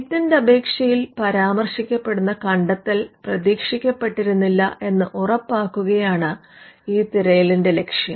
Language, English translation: Malayalam, The objective of this search is to ensure that the invention as it is covered in a patent application has not been anticipated